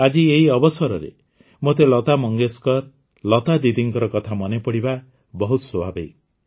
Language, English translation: Odia, Friends, today on this occasion it is very natural for me to remember Lata Mangeshkar ji, Lata Didi